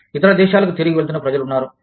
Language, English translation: Telugu, There are people, who are going back, to other countries